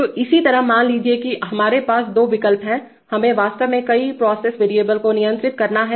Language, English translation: Hindi, So similarly suppose we are, we have two options, we actually have to simultaneously control a number of process variables